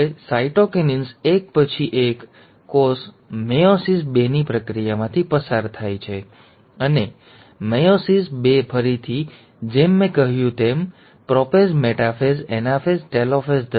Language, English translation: Gujarati, Now, after cytokinesis one, the cell then undergoes the process of meiosis two, and meiosis two again, as I said, contains prophase, metaphase, anaphase and telophase